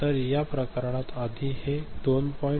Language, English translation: Marathi, So, in this case here earlier it was 2